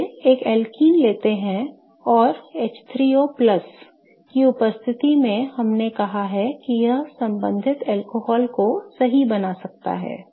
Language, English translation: Hindi, Let's take an alkene and in presence of H3O plus we have said that it can form the corresponding alcohol